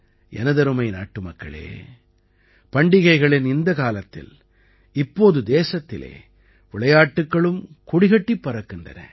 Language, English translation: Tamil, My dear countrymen, during this festive season, at this time in the country, the flag of sports is also flying high